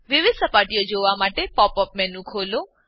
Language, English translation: Gujarati, To view different surfaces, open the pop up menu